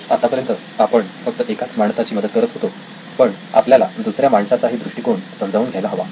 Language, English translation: Marathi, Still we are helping out one person but we need to understand the other person’s perspective also